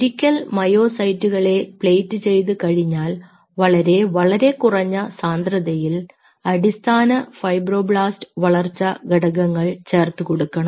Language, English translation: Malayalam, so once we played this myocytes, you tweak around with the basic fibroblast growth factor concentration